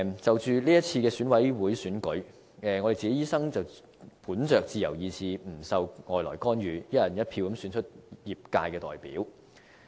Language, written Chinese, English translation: Cantonese, 就是次選舉委員會選舉，我們醫生本着自由意志，不受外來干預，"一人一票"選出業界代表。, In the Election Committee Subsector ordinary elections we doctors elected our representatives by one person one vote according to our free will without any external interference